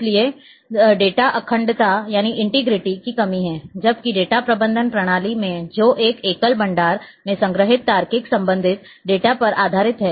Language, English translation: Hindi, So, lack of data integrity ,whereas, in database management system which is based on the logical related data stored in a single repository